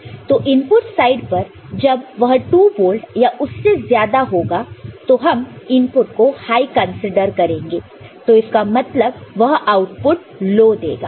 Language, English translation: Hindi, So, at the input side when it is 2 volt and above right it is considered safely as input is considered as high; that means, it will give, generate output which is low, ok